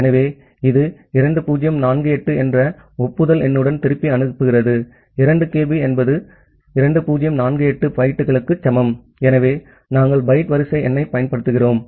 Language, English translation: Tamil, So, it sends back with an acknowledgement number of 2048, 2kB is equivalent to 2048 bytes so, because we are using byte sequence number